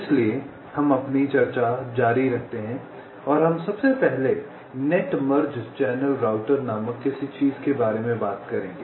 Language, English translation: Hindi, so we continue our discussion and we shall first talk about something called net merge channel router